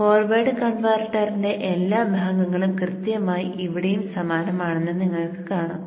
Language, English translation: Malayalam, So you see all the part of the forward converter exactly same